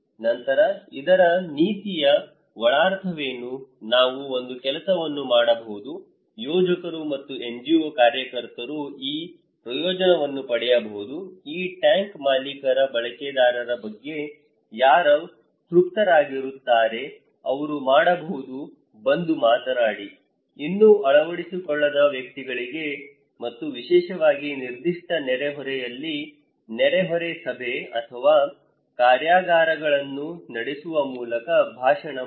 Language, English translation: Kannada, Then, what is the policy implication of this, we can do one thing, the planners and NGO workers might take this advantage that who those who are satisfied with the users of this tank owners, they can come and talk, give a talk to the individuals who have not adopted yet and especially by conducting neighbourhood meeting or workshops in a particular neighbourhood